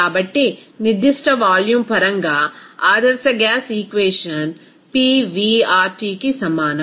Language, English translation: Telugu, So, in terms of the specific volume, that ideal gas equation will be is equal to Pv RT